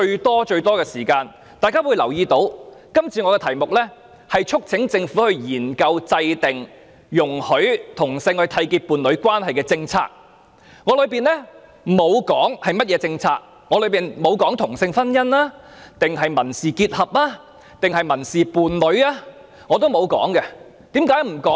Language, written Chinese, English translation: Cantonese, 大家可以留意到，今次的議案題目是促請政府"研究制訂讓同志締結伴侶關係的政策"，當中並沒有說明是甚麼政策，也沒有提出同性婚姻、民事結合或民事伴侶等建議，為何要這樣處理呢？, You may have noted that the title of this motion is to urge the Government to study the formulation of policies for homosexual couples to enter into a union but there is no mention of specific policies to be formulated and neither have such proposals as same - sex marriage civil union or civil partnership been put forward